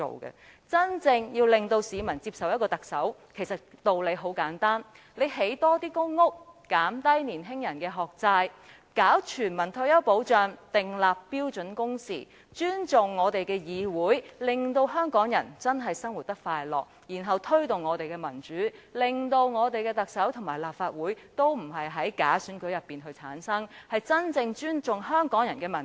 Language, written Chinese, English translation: Cantonese, 其實，要市民接受一位特首，方法很簡單，只要興建更多公屋、減低年青人的學債、推行全民退休保障、訂立標準工時、尊重議會、使香港人生活得真正快樂，然後再推動民主，令特首和立法會並非藉假選舉產生，真正尊重香港人的民意。, Actually it is very easy to make the people accept a Chief Executive . All will be fine if the Government can construct more public housing units reduce the burden of education loan on young people implement universal retirement protection set the number of standard working hours respect the Legislative Council make the life Hong Kong people really happy and then promote democratization to make sure that the Chief Executive and the Legislative Council are not returned by bogus elections but are truly representative of Hong Kong peoples opinions